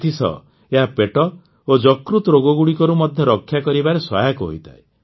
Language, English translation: Odia, Along with that, they are also helpful in preventing stomach and liver ailments